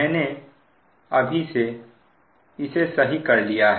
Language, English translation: Hindi, i have now corrected